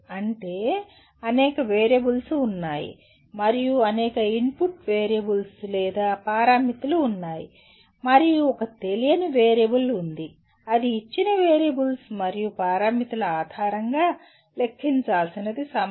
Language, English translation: Telugu, That means there are several variables and there are several input variables or parameters and there is one unknown variable that is the time taken needs to be computed based on the given variables and parameters